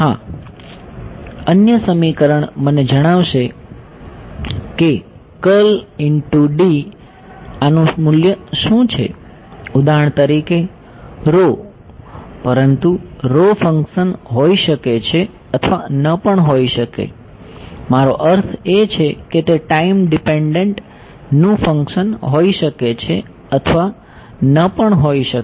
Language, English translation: Gujarati, Yes, the other equation will tell me what is the value of this del dot D for example, rho; right, but rho may or may not be a function I mean may or may not be a function of time in the depend